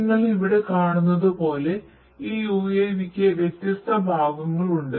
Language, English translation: Malayalam, So, as you can see over here, this UAV has different parts